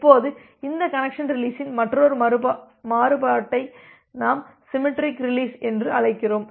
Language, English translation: Tamil, Now, we can have another variant of these connection release which we call as the symmetric release